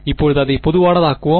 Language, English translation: Tamil, Now let us make it general